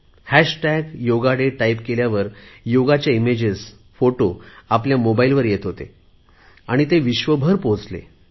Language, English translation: Marathi, As soon as we typed 'hash tag yoga day', we would immediately get a picture of a yoga image on our mobile